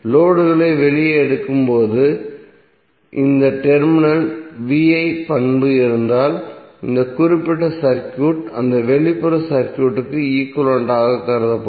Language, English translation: Tamil, and if you have VI characteristic at this terminal same while taking the load out then the this particular circuit would be considered as the equivalent of that external circuit